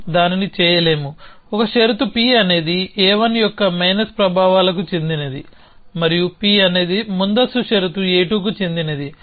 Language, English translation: Telugu, So, we cannot do that, one condition the third condition is the P belongs to effects minus of a 1 and P belongs to precondition a 2